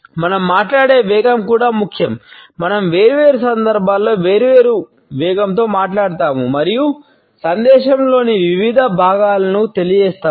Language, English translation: Telugu, The speed at which we speak is also important we speak at different speeds on different occasions and also while we convey different parts of a message